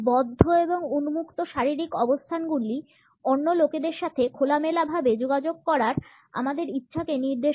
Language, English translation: Bengali, The closed and open body positions indicate our desire to interact openly with other people